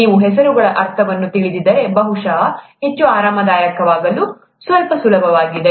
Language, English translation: Kannada, If you know the , if you know the meaning of the names, probably it’s a little easier to get more comfortable